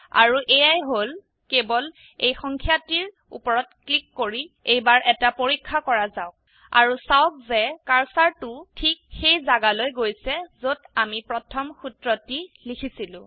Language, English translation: Assamese, Let us test it by simply clicking on this number And notice that the cursor has jumped to the location where we wrote the first formula